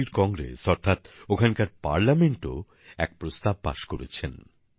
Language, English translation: Bengali, The Chilean Congress, that is their Parliament, has passed a proposal